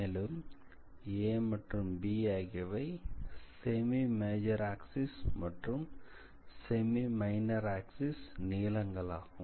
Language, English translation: Tamil, So, a and b are the length of the semi major axis and semi minor axis